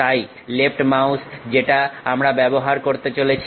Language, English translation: Bengali, So, the left mouse what we are going to use